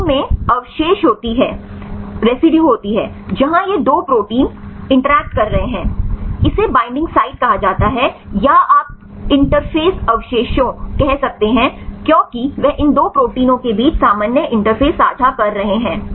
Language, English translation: Hindi, There is residue in the protein where right these 2 proteins are interacting right, this is called the binding site or you can say interface residues right, because they are sharing the common interface between these 2 proteins